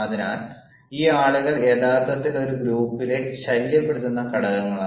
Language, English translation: Malayalam, so, these people, they are actually the disturbing elements in a group